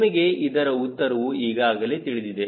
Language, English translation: Kannada, ok, you know the answer already